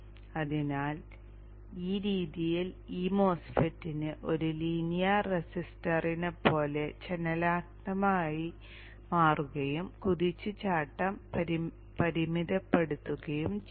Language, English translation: Malayalam, So this way this MOSFET can behave like a linear resistor dynamically changing and limit the search